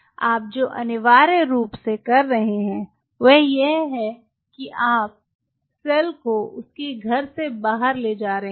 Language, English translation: Hindi, what you are essentially doing, you are taking the cell from its home